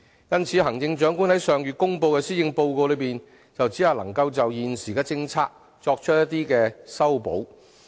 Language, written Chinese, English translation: Cantonese, 因此，行政長官於上月公布的施政報告只能就現行政策作出修補。, Hence the Policy Address announced by the Chief Executive last month can only make some sort of repairs to existing policies